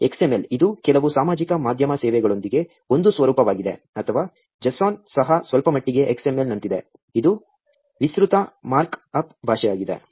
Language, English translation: Kannada, XML, which is also a format with some social media services give, or the JSON, is also a little bit like an XML, which is Extended Mark up Language